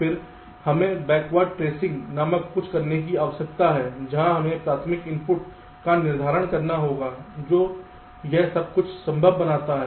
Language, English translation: Hindi, then we need to do something called a backward tracing, where we have to determine the primary inputs which makes all this things possible